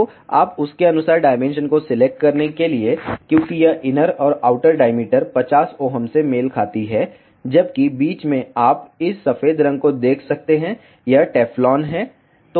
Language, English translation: Hindi, So, you need to select the dimensions accordingly, because this inner and outer diameter corresponds to 50 Ohm, whereas in the middle you can see this white colour this is Teflon